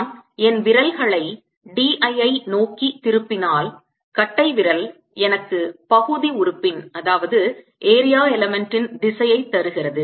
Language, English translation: Tamil, if i turn my fingers towards the l, then thumbs gives me the area element direction